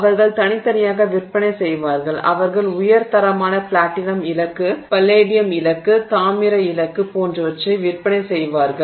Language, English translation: Tamil, They will sell separately they will sell you know high quality maybe you know platinum target palladium target, target etc, they will sell that to you and that is the kind of target that you will use